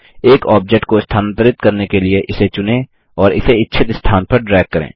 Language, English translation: Hindi, To move an object, just select it and drag it to the desired location